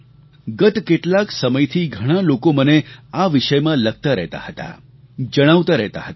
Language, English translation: Gujarati, Over some time lately, many have written on this subject; many of them have been telling me about it